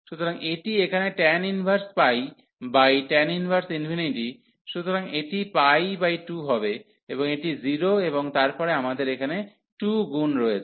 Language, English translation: Bengali, So, again not, so this is this is here tan inverse tan inverse pi by tan inverse infinity, so that will be pi by 2 and this is minus 0 and then we have here 2 times